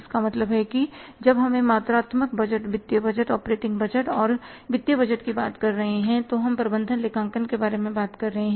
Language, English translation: Hindi, So, it means when we are talking of quantitative budgeting, financial budgeting, operating budgets, financial budgets we are talking about management accounting